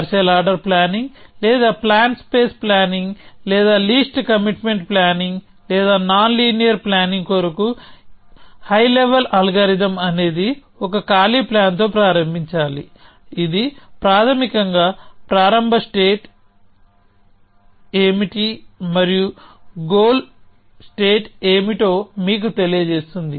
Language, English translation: Telugu, So, the high level algorithm for partial order planning or plan space planning or least commitment planning or nonlinear planning is to start with a empty plan a 0 n p t, which basically is telling you what the start state is and what the goal state is